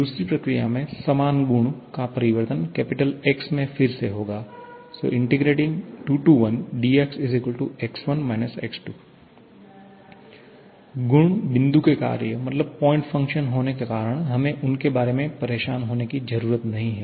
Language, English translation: Hindi, That is in the second process, the change in the property is here we are changing the same property X will be from, will be again equal to X1 X2, properties being point functions we do not need to bother about them